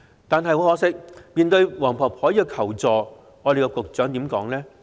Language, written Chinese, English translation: Cantonese, 但很可惜，面對黃婆婆的求助，局長說了些甚麼呢？, But regrettably what did the Secretary say in response to Mrs WONGs plea for help?